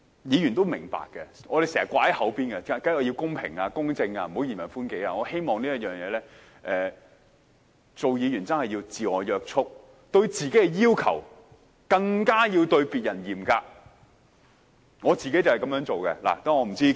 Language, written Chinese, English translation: Cantonese, 議員也明白，我們經常"掛在嘴邊"的是要公平、公正，不要嚴人寬己，我希望就這方面，議員真的要自我約束，對自己的要求要較對別人要求更嚴格。, Honourable colleagues must be aware that we keep mentioning fairness justice and not treating others harshly but ourselves leniently . I wish in this respect Members do exercise some self - restraint and ask more of themselves than others . It is my personal belief